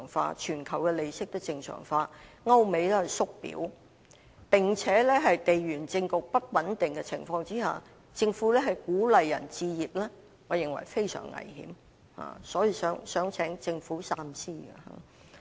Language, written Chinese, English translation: Cantonese, 由於全球利息也會正常化，歐美"縮表"，並且在地緣政局不穩定的情況下，政府鼓勵市民置業，我認為是非常危險的，所以請政府三思。, Given expected normalization of the global interest rates the balance sheet shrink in Europe and the United States and unstable geopolitical conditions I think it is very dangerous for the Government to encourage the public to buy properties and therefore I urge the Government to think twice